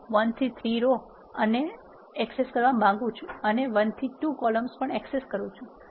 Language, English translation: Gujarati, I want to access rows 1 to 3 and also access columns 1 to 2 do